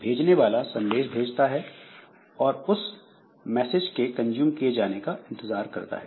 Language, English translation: Hindi, So, sender sends a message and the sender will be waiting for the message to be consumed